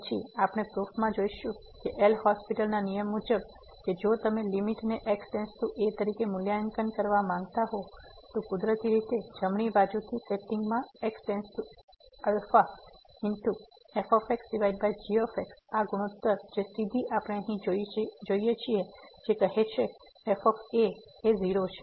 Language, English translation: Gujarati, Then we will see in the proof of this L’Hospital’s rule that if you want to evaluate the limit as goes to , naturally in the setting a from the right hand side the limit the right limit as goes to a over this ratio which directly we see here which says is